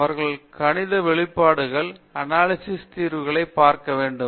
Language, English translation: Tamil, They should look for the analytical solutions of the mathematical expressions